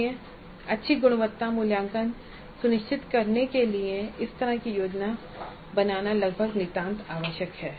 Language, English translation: Hindi, So, this kind of a planning is almost absolutely necessary to ensure good quality assessment